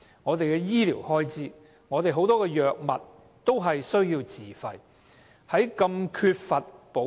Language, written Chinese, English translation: Cantonese, 至於醫療開支方面，仍有很多藥物需要自費。, As for medical expenses a large number of medicines are still purchased by patients